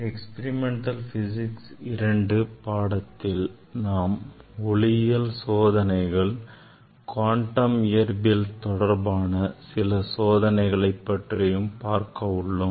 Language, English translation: Tamil, Now, in this Experimental Physics II, we will discuss optics experiment as well as some experiments on quantum physics